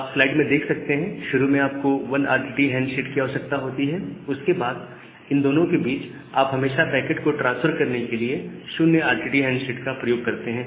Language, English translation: Hindi, And at the initial time you require a 1 RTT handshake; after in between you can always use the 0 RTT handshake to transfer the packets ok